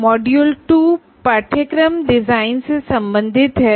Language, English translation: Hindi, Module 2 is related to course design